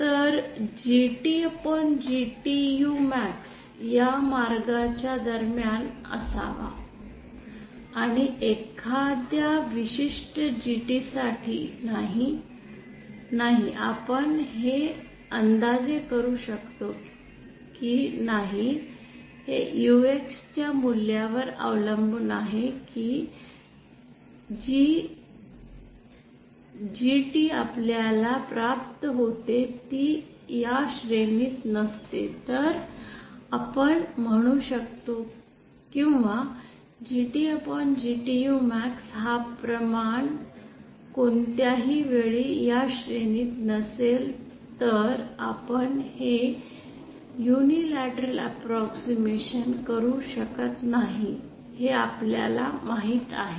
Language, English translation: Marathi, Now here this UX is given by… Let me use a different piece of paper… This is the value of U… So our this GT upon GTU max should be between this way and whether or not for a particular GT no whether we can make this approximation of not depends on this value of UX if our GT that we obtain does not lie within this range then we can say or this ratio you know if this GT upon GTU max anytime this ratio is not within this given range then we cannot do this unilateral approximation